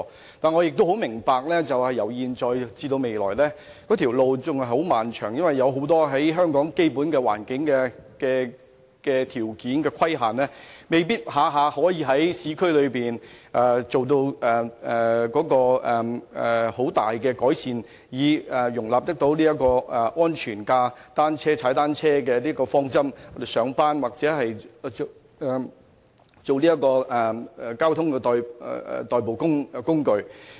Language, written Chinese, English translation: Cantonese, 然而，我也明白由現在至未來仍是漫漫長路，因為受香港基本環境眾多條件所限，往往未必可以在市區內作出很大的改善，以迎合安全踏單車的方針，使單車成為上班或交通的代步工具。, Nevertheless I understand that there is still a long way to go because limited by a host of fundamental physical constraints in Hong Kong at present it is often unlikely to effect substantial improvement in the urban areas so as to fit in with the principle of safe cycling so that bicycles may become a means for commuting to work or a mode of transport